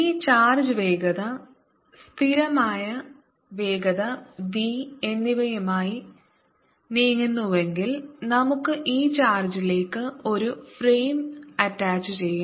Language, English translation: Malayalam, there is another very cute way of looking at it and that is this: if this charge is moving with velocity, constant velocity v, let us attach a frame to this charge